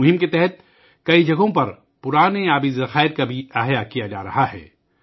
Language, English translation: Urdu, Under this campaign, at many places, old water bodies are also being rejuvenated